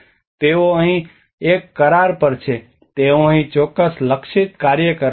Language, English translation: Gujarati, They are here on a contract, they are here to do certain targeted work